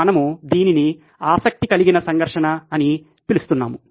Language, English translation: Telugu, We are calling it the conflict of interest